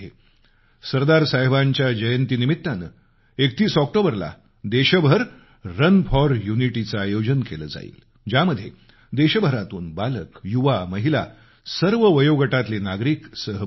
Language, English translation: Marathi, On the occasion of the birth anniversary of Sardar Sahab, Run for Unity will be organized throughout the country, which will see the participation of children, youth, women, in fact people of all age groups